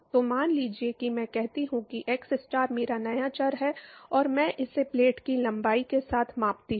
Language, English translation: Hindi, So, suppose I say that xstar is my new variable and I scale it with the length of the plate